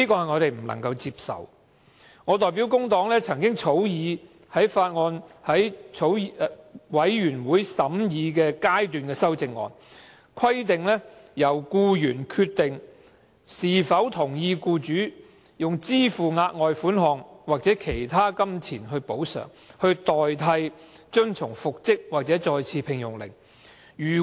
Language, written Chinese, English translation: Cantonese, 我曾代表工黨草擬委員會審議階段修正案，規定由僱員決定是否同意僱主支付額外款項或作其他金錢補償，以代替遵從復職或再次聘用令。, I have drafted a Committee stage amendment on behalf of the Labour Party stipulating that the employee can decide whether he accepts the further sum or other monetary compensations payable by the employer in lieu of the order for reinstatement or re - engagement